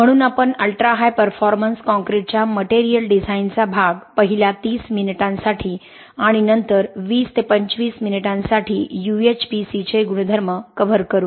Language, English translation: Marathi, So we will cover the material design part of Ultra High Performance Concrete for first 30 minutes and then the next 20 25 minutes on properties of UHPC